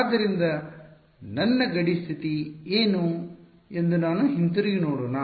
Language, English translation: Kannada, So, what is my boundary condition let us go back to it